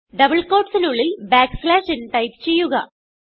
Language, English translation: Malayalam, Within double quotes, type backslash n